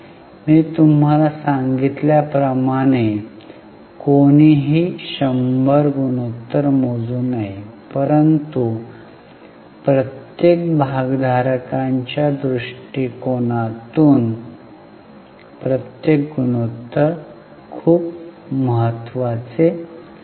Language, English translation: Marathi, As I told you, one can calculate hundreds of ratios, but each ratio from each stakeholder's angle is very important